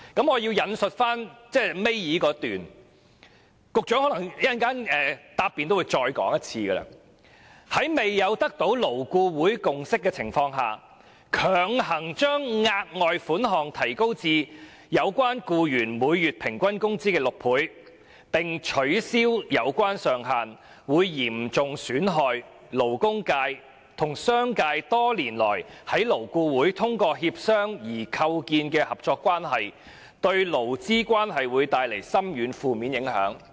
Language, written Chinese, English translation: Cantonese, 我要引述新聞公報倒數第二段，也許局長稍後總結時，也會再說一次："在未有得到勞顧會共識的情況下，強行把額外款項提高至有關僱員每月平均工資的6倍，並取消有關上限，會嚴重損害勞工界和商界多年來在勞顧會通過協商而構建的合作關係，對勞資關係會帶來深遠及負面的影響"。, I am going to read out the second last paragraph of the press release which the Secretary may repeat when he makes his concluding speech later Without obtaining the consensus of LAB pressing an increase of the further sum to six times the average monthly wages of the employee and removing the relevant ceiling will seriously jeopardize the cooperative relationship between the labour sector and the business sector fostered through negotiations in LAB over the years and will bring far - reaching negative impact on the labour relationship